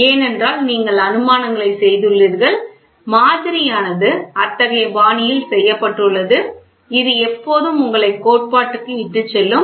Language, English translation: Tamil, Because you have made assumptions and the model is made in such a fashion, such that it always leads you to the theoretical one